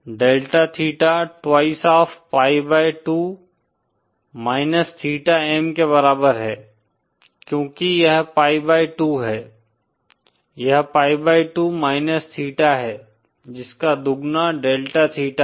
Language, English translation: Hindi, Delta theta is equal to twice of pi by 2 minus theta M, because this is pi by 2, this is pi by 2 minus theta, twice of that is delta theta